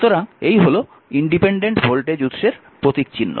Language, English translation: Bengali, So, these 2 are symbol for your independent voltage sources right